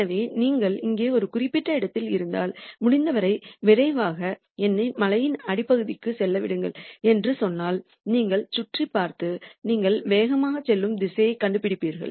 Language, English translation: Tamil, So, if you are at a particular point here and then you say look let me go to the bottom of the hill as fast as possible, then you would look around and nd the direction where you will go down the fastest